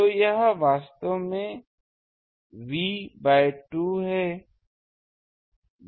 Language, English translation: Hindi, So, this is actually V by 2